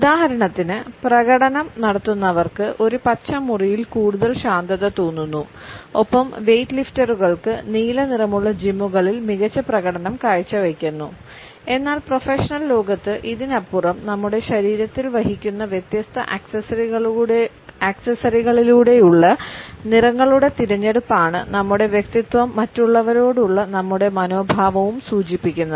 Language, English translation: Malayalam, For example, performance feel more relaxed in a green room and weightlifters do their best in blue colored gyms, but beyond this in the professional world it is our choice of colors through different accessories which we carry on our body that we reflect our personality and our attitudes to other